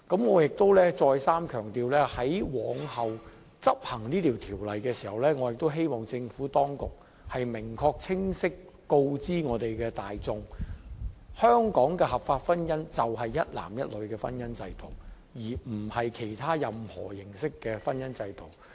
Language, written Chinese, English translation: Cantonese, 我亦想再三強調，在往後執行這項《條例草案》時，我希望政府當局能明確清晰告知市民大眾，香港的合法婚姻就是指一男一女的婚姻制度，而不是其他任何形式的婚姻制度。, I also wish to stress once again that when the Bill is enacted after today I hope the Administration can tell Hong Kong people clearly that the lawful marriage in Hong Kong is the matrimony contracted between a man and a woman instead of any other forms of matrimonial regime